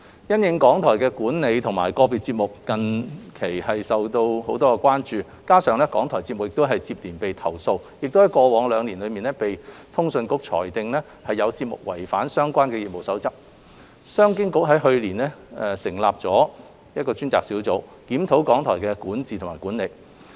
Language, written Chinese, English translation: Cantonese, 因應港台的管理和個別節目內容近期備受關注，加上港台節目接連遭到投訴，並在過去兩年被通訊局裁定有節目違反相關的業務守則，商經局於去年成立專責小組，檢討港台的管治及管理。, The management of RTHK and individual RTHK programmes have been a cause of public concern in recent years . RTHKs programmes have been subject to complaints repeatedly and ruled by CA to have breached the relevant codes of practices in the past two years . In light of the above CEDB established a dedicated team to review the governance and management of RTHK last year